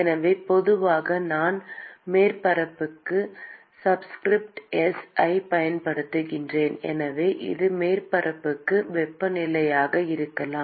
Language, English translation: Tamil, So, typically I use subscript s for surface, so it could be surface temperature